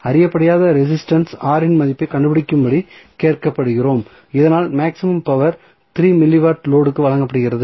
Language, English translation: Tamil, So, now, we are not asking for load Rl we are asking for finding out the value of the unknown resistance R so that the power maximum power being delivered to the load 3 milli watt